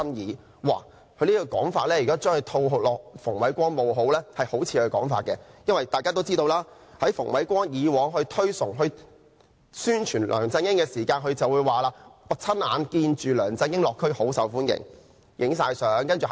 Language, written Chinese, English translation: Cantonese, 如果把他這種說法套在馮煒光身上，也像是馮煒光本身會說的話，因為大家都知道，馮煒光以往推崇、宣傳梁振英的時候，會說"我親眼目睹梁振英落區大受歡迎，亦拍攝了照片"。, Should his words be put into Andrew FUNGs mouth it seems that Andrew FUNG will say something like that because as we all know he would say I personally witnessed the huge popularity enjoyed by LEUNG Chun - ying when he made district visits and photographs were taken too when he praised and publicized LEUNG Chun - ying in the past